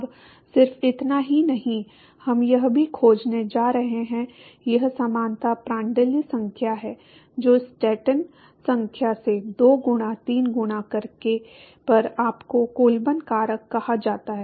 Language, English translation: Hindi, Now not just that we are also going to find, this is the analogy Prandtl number to the power of 2 by 3 multiplied by Stanton number gives you what is called the Colburn factor